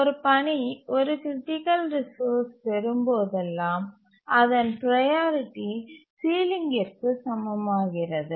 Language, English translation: Tamil, And whenever a task acquires a resource, a critical resource, its priority becomes equal to the ceiling